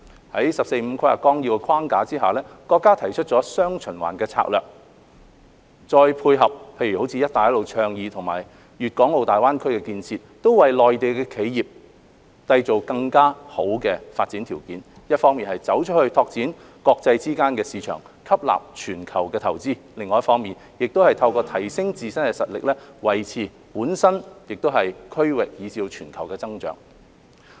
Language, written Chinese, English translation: Cantonese, 在《十四五規劃綱要》的框架下，國家提出了"雙循環"策略，再配合如"一帶一路"倡議及粵港澳大灣區建設，為內地企業締造更好的發展條件，一方面"走出去"拓展國際間的市場，吸納全球的投資，另一方面透過提升自身的實力，維持本身、區域，以至全球的經濟增長。, Under the framework of the 14th Five - Year Plan the country has proposed the dual circulation strategy . This together with the Belt and Road Initiative and the development of the Guangdong - Hong Kong - Macao Greater Bay Area GBA will create more favourable development conditions for the enterprises in the Mainland . On the one hand these enterprises can go global to develop an international dimension to their business operations and attract investments from the rest of the world